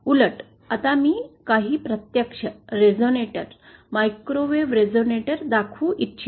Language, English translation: Marathi, Rather, I would now like to show some actual, some of the actual resonators, microwave resonator is that are used